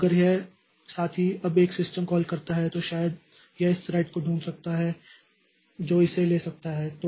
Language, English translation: Hindi, So if this fellow now makes a system call, then maybe it can find this thread that can take it up